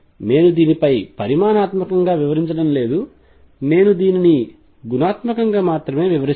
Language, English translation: Telugu, I am not going to go quantitative on this I will describe this only qualitatively